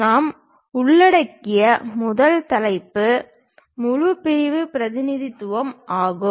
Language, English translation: Tamil, The first topic what we cover is a full section representation